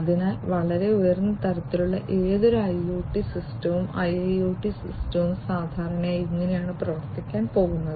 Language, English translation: Malayalam, So, this is typically how any IoT system and IIoT system, at a very high level, is going to work